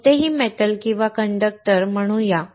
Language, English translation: Marathi, Let us say any metal or conductor